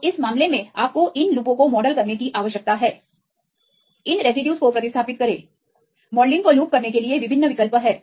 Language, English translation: Hindi, So, in this case you need to model these loops replace these residues there are various options to loop the modelling